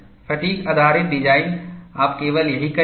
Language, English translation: Hindi, Fatigue based design, you will do only this